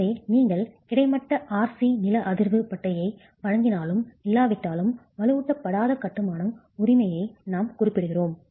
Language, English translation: Tamil, So whether whether you provide the horizontal RC seismic band or not we are referring to unreinforced masonry